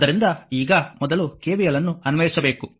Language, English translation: Kannada, So now, you have to first apply the KVL